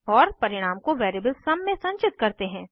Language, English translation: Hindi, And store the result in variable sum